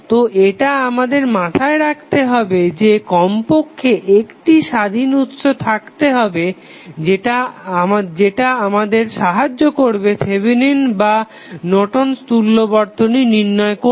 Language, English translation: Bengali, So, this we have to keep in mind that there should be at least one independent source which helps you to determine the value of Thevenin and Norton's equivalent